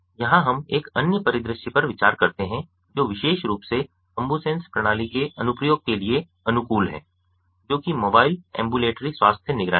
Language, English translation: Hindi, here we consider another scenario which is particularly well suited for the application of the ambusens system, that of mobile ambulatory health monitoring